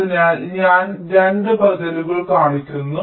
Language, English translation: Malayalam, so i am showing two alternatives